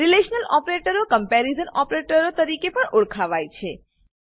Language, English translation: Gujarati, Relational operators are also known as comparison operators